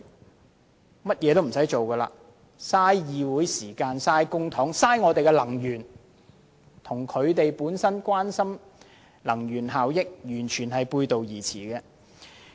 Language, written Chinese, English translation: Cantonese, 他們只會浪費議會時間、浪費公帑、浪費能源，這亦與他們關心能源效益的說法完全背道而馳。, This Councils time public funds and energy will be wasted and this runs counter to their claim that they care about energy efficiency